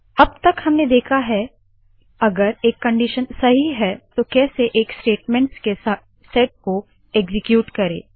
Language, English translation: Hindi, So far we have seen how to execute a set of statements if a condition is true